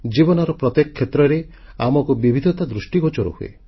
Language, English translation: Odia, We observe diversity in every walk of life